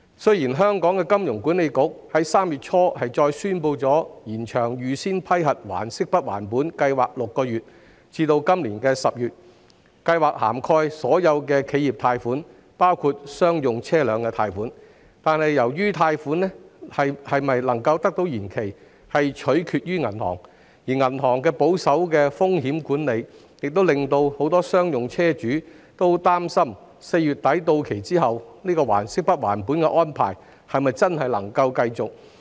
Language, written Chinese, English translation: Cantonese, 雖然香港金融管理局於3月初宣布再延長"預先批核還息不還本"計劃6個月至今年10月，而該計劃涵蓋所有企業貸款，包括商用車輛貸款，但貸款能否延期取決於銀行，而銀行採取保守的風險管理，故此很多商用車主擔心在貸款於4月底到期後，"還息不還本"的安排是否真的能夠繼續。, The Hong Kong Monetary Authority announced in early March that the Pre - approved Principal Payment Holiday Scheme which covers all corporate loans including commercial vehicle loans would be extended for another six months to October this year . Nevertheless since it is up to the banks to decide whether loan repayment can be deferred and the banks adopt a conservative approach to risk management many commercial vehicle owners are concerned whether the principal payment holiday will really remain available when their loans are due in late April